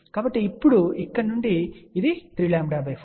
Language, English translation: Telugu, So, now, from here this is 3 lambda by 4